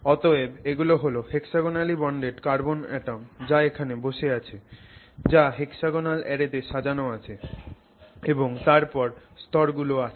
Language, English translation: Bengali, So, these are all hexagonally bonded carbon atoms that are sitting here arranged in a hexagonal array and then you have layers